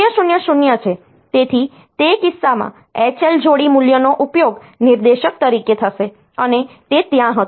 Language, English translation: Gujarati, So, in that case that H L pair value will be used as a pointer, and that was there